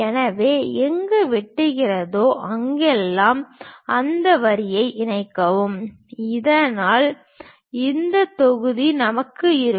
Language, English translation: Tamil, So, wherever it is intersecting connect those lines so that, we will have this block